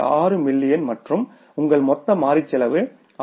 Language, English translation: Tamil, 6 million and your total variable cost is 6